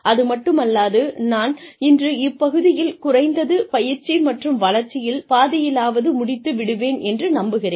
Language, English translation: Tamil, And, I hope to finish this part, at least half of training and development today